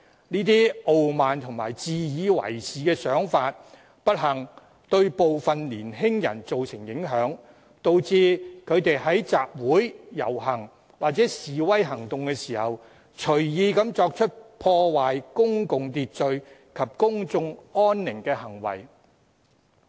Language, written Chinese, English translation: Cantonese, 該些傲慢和自以為是的想法，不幸對部分年輕人造成影響，導致他們在集會、遊行或示威行動時隨意作出破壞公共秩序及公眾安寧的行為。, It is unfortunate that such arrogant and conceited ways of thinking have influenced some young people and have caused them to engage as they please in activities that are damaging the public order and disruptive of the peace at assemblies processions or demonstrations